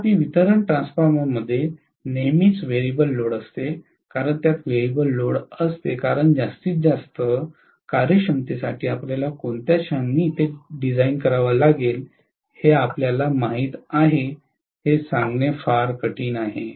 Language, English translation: Marathi, Whereas, distribution transformer will always have variable load because it has a variable load it is very very difficult to say you know like at what point you have to design it for maximum efficiency